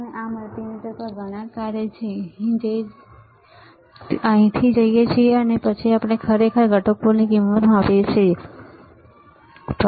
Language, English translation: Gujarati, Now there are several functions on this multimeter, several functions all right; which we go from here, and then we actually measure the value of the components, all right